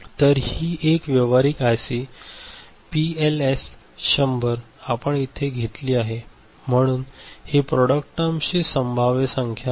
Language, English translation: Marathi, So, this is a practical IC we have taken PLS 100 ok, so these are the possible number of product terms